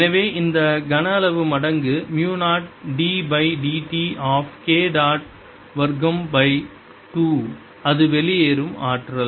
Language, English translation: Tamil, so this volume times mu, zero, d by d t of k dot, square by two, that is the energy flowing out